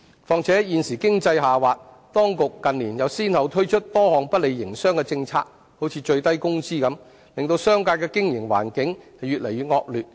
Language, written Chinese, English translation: Cantonese, 況且，現時經濟下滑，當局近年又先後推出多項不利營商的政策如最低工資等，令商界的經營環境越來越惡劣。, Moreover given the current economic slowdown coupled with a number of policies unfavourable to business launched by the authorities one after another in recent years such as the minimum wage the operating environment of the business sector has gone from bad to worse